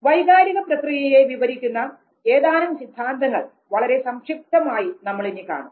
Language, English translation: Malayalam, We will now very succinctly try to understand the theories which have tried to explain the process of emotion